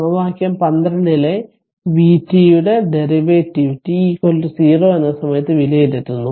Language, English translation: Malayalam, Evaluating the derivative of v t in equation 12 at t is equal to 0